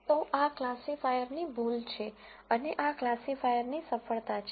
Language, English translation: Gujarati, So, this is a mistake of the classifier and this is a success of the classifier